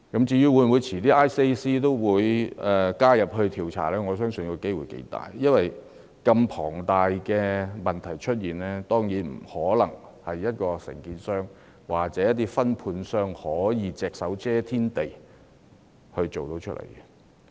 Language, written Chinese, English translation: Cantonese, 至於 ICAC 稍後會否加入調查，我相信機會頗高，因為如此龐大的問題當然不可能由某承建商或分判商隻手遮天地一手造成。, As for whether the Independent Commission Against Corruption ICAC will take part in the investigation later on I believe the likelihood is fairly great because it was certainly impossible that a problem of such magnitude was caused by some contractor or subcontractor singlehandedly and with absolute control